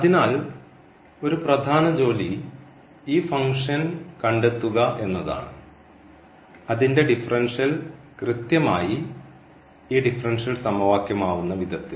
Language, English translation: Malayalam, So, one the main job is to find this function f whose differential is exactly this given differential equation